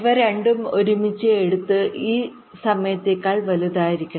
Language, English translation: Malayalam, this two taken together should be greater than this time